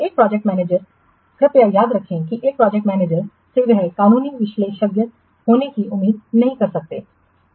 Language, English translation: Hindi, A project manager, please remember a project manager, he cannot be expected to be legal expert